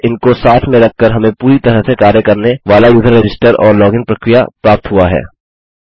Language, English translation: Hindi, So by putting these together, we have got a fully functional user register and login process